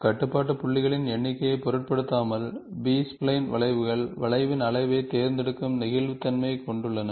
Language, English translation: Tamil, The B spline curve have the flexibility of choosing the degree of curve, irrespective of number of control points